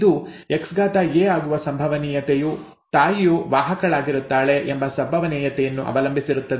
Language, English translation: Kannada, The probability that this will be an X small a depends on the probability that the mother is a carrier, okay